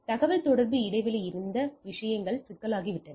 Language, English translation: Tamil, So, if there is a communication break the things may have become problematic